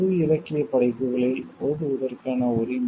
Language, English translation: Tamil, The right to recite in a public literary works